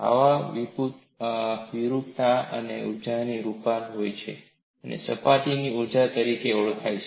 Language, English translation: Gujarati, Such deformation requires energy and is known as surface energy